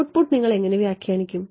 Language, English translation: Malayalam, How will you interpret the output